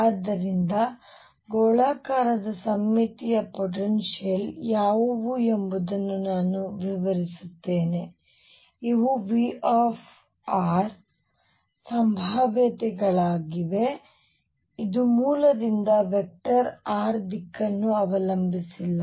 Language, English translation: Kannada, So, let me explain what spherically symmetric potentials are these are potentials V r which do not depend on the direction of vector r from the origin